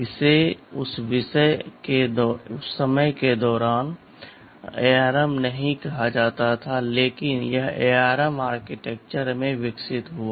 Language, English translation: Hindi, ISo, it was not called armed ARM during that time, but it evolved into the ARM architecture